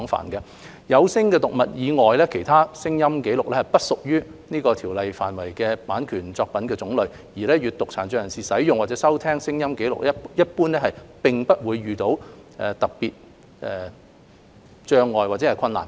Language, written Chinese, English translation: Cantonese, 除了有聲讀物外，其他聲音紀錄均不屬於《馬拉喀什條約》規範的版權作品種類，而閱讀殘障人士使用或收聽聲音紀錄一般並不會遇到特別障礙或困難。, Apart from audio books other sound recordings do not belong to the types of copyright work as specified under the Marrakesh Treaty and persons with a print disability normally will not encounter special obstacles or difficulties when using or listening to sound recordings